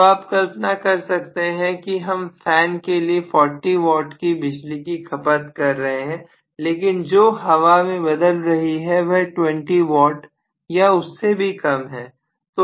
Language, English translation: Hindi, So you can imagine we probably consume 40 watts in the fan but what we convert into the form of you know circulating air it will be only corresponding to 20 watts or even less